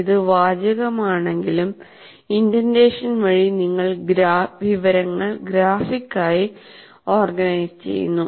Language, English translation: Malayalam, Though this is text, but by just indentation you are graphically organizing the information